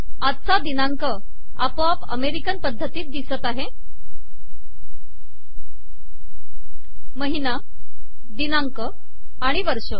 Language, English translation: Marathi, Note that todays date appears automatically in American style: month, date and then year